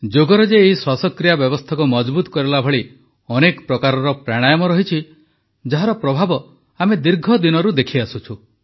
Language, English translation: Odia, In yoga, there are many types of Pranayama that strengthen the respiratory system; the beneficial effects of which we have been witnessing for long